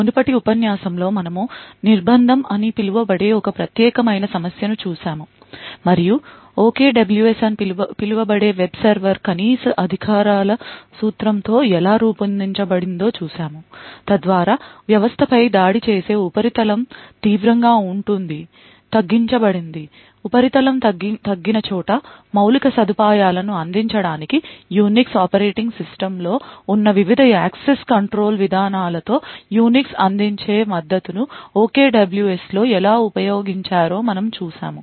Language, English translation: Telugu, In the previous lecture we had looked at one particular problem called confinement and we had seen how a web server which we will which was called OKWS was designed with the principle of least privileges so that the surface with which an attacker in attack the system is drastically reduced, we seen how OKWS used a lot of support that Unix provides with the various access control policies that are present in the Unix operating system to provide an infrastructure where the surface is reduced